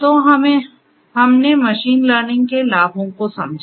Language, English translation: Hindi, So, we have understood the benefits of machine learning